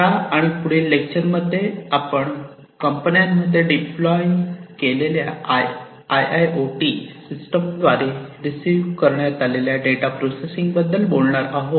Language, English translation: Marathi, In this lecture and the next, we are going to talk about the processing of the data, that are received through the IIoT systems, that are deployed in the companies